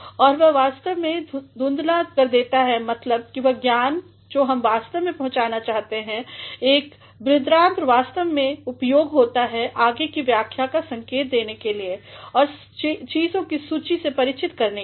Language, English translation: Hindi, And, that actually obscures the sense of the meaning that we actually want to convey, a colon actually is used to indicate further explanation and also to introduce a list of items